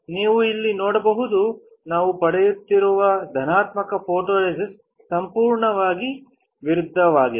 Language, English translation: Kannada, You can see here that what we are getting is absolutely opposite of the positive photoresist